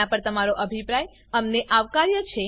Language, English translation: Gujarati, We welcome your feedback on these